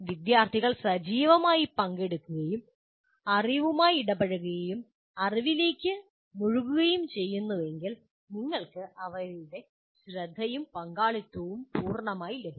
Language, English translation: Malayalam, If they are actively participating and interacting with the knowledge, engaging with the knowledge, you will have their attention and participation fully